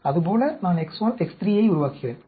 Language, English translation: Tamil, Like that I build X 1, X 3